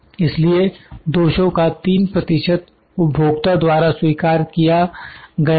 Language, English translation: Hindi, So, 3 percent accept of defects are accepted by the customer